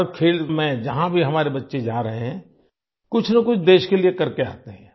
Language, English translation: Hindi, In every game, wherever our children are going, they return after accomplishing something or the other for the country